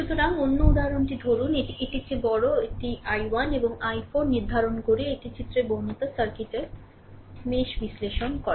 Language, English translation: Bengali, So, take another example this is a bigger one it determine i 1 and i 4 using mesh analysis of the circuit shown in figure this, right